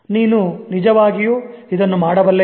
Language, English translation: Kannada, Can you really do this